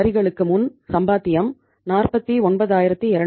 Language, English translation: Tamil, Earning before taxes 49200